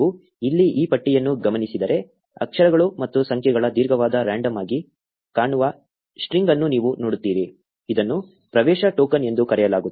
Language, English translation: Kannada, If you notice this bar here, you will see a long random looking string of letters and numbers; this is called the access token